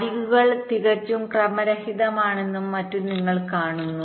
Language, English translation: Malayalam, you see that the edges are quite haphazard and so on